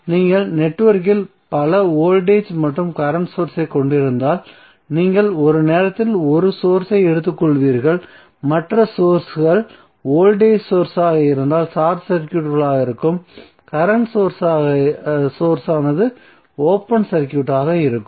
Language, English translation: Tamil, So if you have multiple voltage and current source in the network you will take one source at a time and other sources would be either short circuited if they are a voltage sources and the current source is would be open circuited